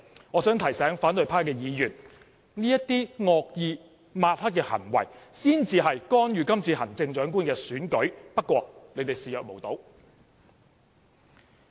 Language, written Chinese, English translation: Cantonese, 我想提醒反對派的議員，這些惡意抹黑的行為才是干預今次的行政長官選舉，不過你們卻視若無睹。, I wish to remind the opposition Members that such malicious smearing is a real attempt to interfere in the Chief Executive Election this time even though they choose to turn a blind eye to it